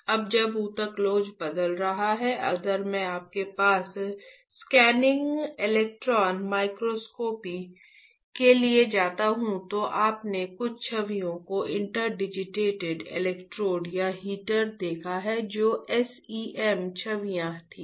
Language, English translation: Hindi, Now when the tissue elasticity is changing, if I go for a scanning electron microscopy you have, I have written yesterday you have seen some images interdigitated electrodes or the heater that were SEM images right